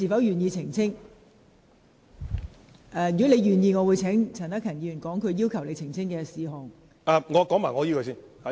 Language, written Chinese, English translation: Cantonese, 如果你願意，我會請陳克勤議員指出他要求你澄清的事項。, If so I will ask Mr CHAN Hak - kan to point out what he would like you to clarify